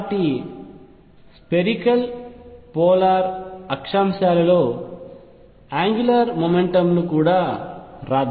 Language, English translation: Telugu, So, let us also write angular momentum in spherical polar coordinates